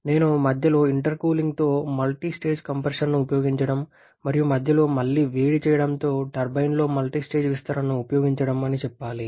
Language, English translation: Telugu, I should say use of multistage compression with intercooling in between and the use of multistage expansion in the turbine with reheating in between